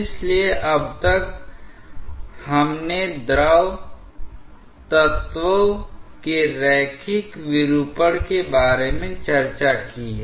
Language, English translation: Hindi, So, till now, we have discussed about the linear deformation of the fluid elements